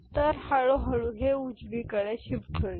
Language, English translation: Marathi, So, gradually it is making a right shift ok